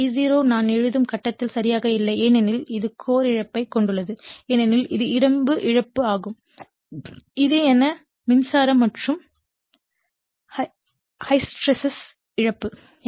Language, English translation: Tamil, That you are this I0 actually not exactly in phase in phase with I write because it has some core loss that is iron loss that is eddy current and hysteresis loss